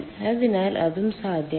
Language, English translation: Malayalam, so that is also possible